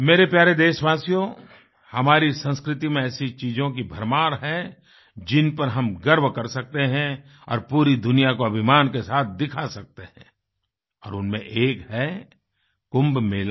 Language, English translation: Hindi, My dear countrymen, there is an abundance of events in our culture, of which we can be proud and display them in the entire world with pride and one of them is the Kumbh Mela